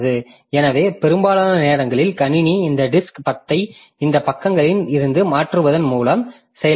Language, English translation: Tamil, So, most of the time the system is actually doing this disk IO by doing this swapping in and swapping out of these pages